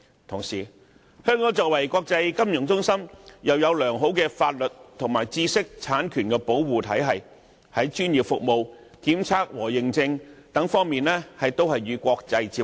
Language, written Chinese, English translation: Cantonese, 同時，香港是國際金融中心，又有良好的法律及知識產權保護制度，專業服務、檢測和認證等方面亦與國際接軌。, What is more Hong Kong is an international financial centre possessing a fine legal system and intellectual property protection regime . Its professional services testing and accreditation services and many other services can converge with the world